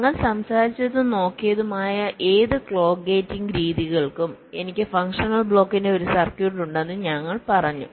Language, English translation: Malayalam, so far, whatever clock gating methods we talked about and looked at, we said that, well, i have a circuit of functional block